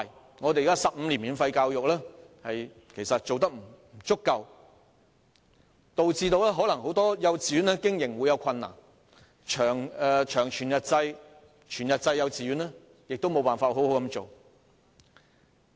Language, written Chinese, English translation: Cantonese, 現行的15年免費教育其實做得並不足夠，或會導致很多幼稚園的經營出現困難，長全日制及全日制幼稚園無法好好運作。, In fact the existing efforts in the implementation of 15 - year free education are insufficient . It may lead to operational difficulties in many kindergartens and whole - day and long whole - day kindergartens will be unable to run properly